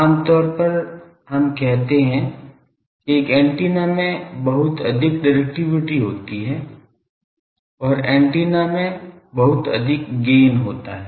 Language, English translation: Hindi, Generally we say an antenna has so much directivity and the antenna has so, much gain